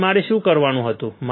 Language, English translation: Gujarati, Now, what I had to do